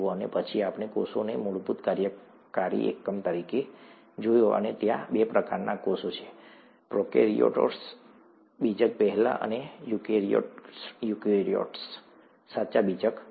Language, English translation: Gujarati, And then, we looked at the cell as the fundamental functional unit and there being two types of cells, prokaryotes, before nucleus, and eukaryotes, with a true nucleus